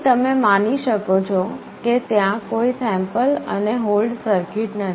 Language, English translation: Gujarati, Here you may assume that there is no sample and hold circuit